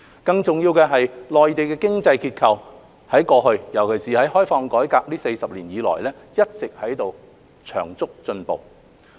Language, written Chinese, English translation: Cantonese, 更重要的是，內地的經濟結構，在過去尤其是在開放改革40年以來，一直有長足進步。, More importantly the economic structure of the Mainland has made substantial improvements in the past especially in the 40 years of reform and opening up